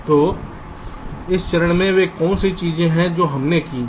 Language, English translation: Hindi, so in this step, what are the things that we have done